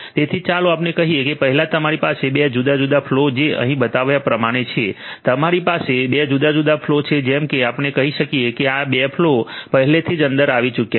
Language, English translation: Gujarati, So, let us say that first you have 2 different flows like the ones that are shown over here, you have 2 different flows; you have 2 different flows like the ones let us say that these 2 flows have already come in